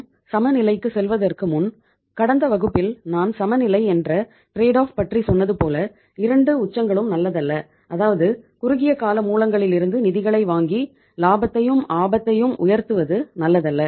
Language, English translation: Tamil, Before we move to the trade off as I told you in the last class that we will have to have the trade off that 2 extremes are not good that having the funds from the short term sources and increasing the profitability by increasing is also not good